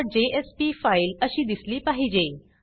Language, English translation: Marathi, Your index.jsp file should now look like this